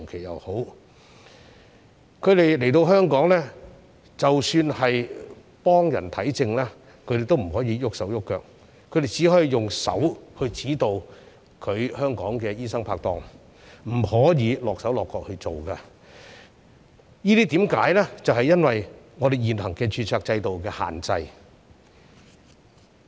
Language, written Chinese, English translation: Cantonese, 即使他們來到香港替人診症，他們也不可以動手動腳，只可以指導香港的醫生拍檔，自己不能夠落手落腳處理，原因是受到現行註冊制度的限制。, They can only offer guidance to their medical partners in Hong Kong but cannot provide treatment directly due to the restrictions under the existing registration system